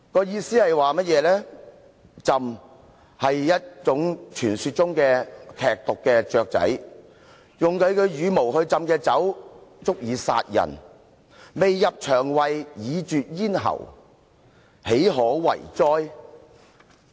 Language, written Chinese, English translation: Cantonese, "意思是，鴆是傳說中身具劇毒的雀鳥，用牠的羽毛浸泡的酒，足以殺人，未入腸胃，已絕咽喉，豈可為哉！, Let me do some explaining . Zhen is a kind of legendary bird that is poisonous and a person who drinks wine infused with its feathers can get killed as the wine passes through his throat before being swallowed down to his stomach and so how undesirable it is to do such a thing!